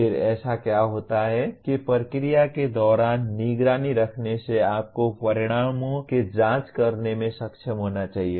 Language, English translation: Hindi, Then what happens having done that, having monitored during the process you should be able to check the outcomes